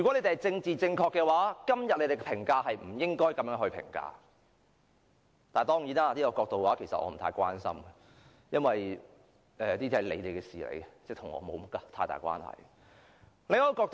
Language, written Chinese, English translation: Cantonese, 若要政治正確，今天不應作如此評價，不過我並不太關心這種角度，因為這是你們的事，與我無大關係。, To be politically correct I should not give it such an evaluation but I do not care too much about what I should do from this perspective because that is your problem and does not have much to do with me